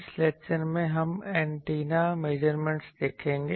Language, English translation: Hindi, In this lecture, we will see the Antenna Measurements